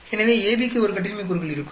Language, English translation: Tamil, So, AB will have 1 degree of freedom